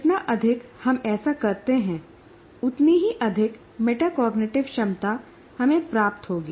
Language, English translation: Hindi, The more we do that, the more metacognitive ability that we will get